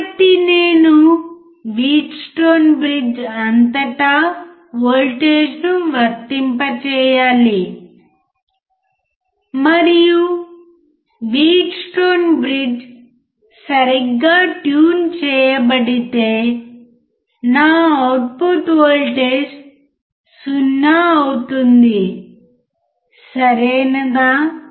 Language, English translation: Telugu, So, I had to apply voltage across the Wheatstone bridge, and if the Wheatstone bridge is properly tuned then my output voltage would be 0, right